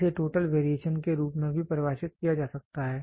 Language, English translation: Hindi, It can also be defined as the total variation